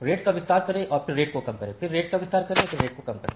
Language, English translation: Hindi, So, expand the rate and then reduce the rate, again expand the rate reduce the rate